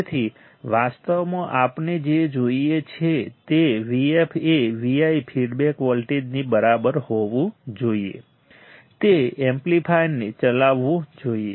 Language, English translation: Gujarati, So, the, but in reality, what we want V f should be equal to V i right feedback voltage should drive the amplifier